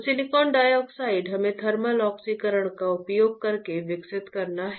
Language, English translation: Hindi, So, silicon dioxide we are to grow using thermal oxidation